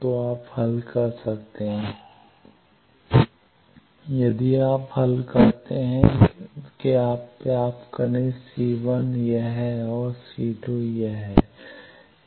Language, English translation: Hindi, So, you can solve if you solve you get c1 is this and c2 is this